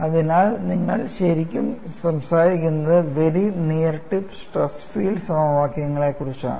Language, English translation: Malayalam, So, that is what is emphasized here; so, you are really talking about very near tip stress field equations